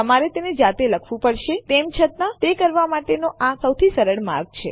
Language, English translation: Gujarati, You have to write it manually, however and this is probably the easiest way to do it